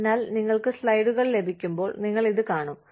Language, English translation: Malayalam, So, when you get the slides, you will see this